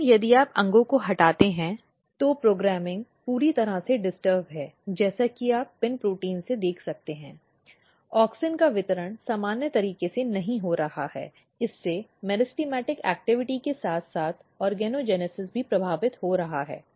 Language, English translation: Hindi, But, if you remove organs the programming is totally disturbed as you can see from the PIN protein, the distribution of auxin is not happening in the normal way this is affecting meristematic activity as well as organogenesis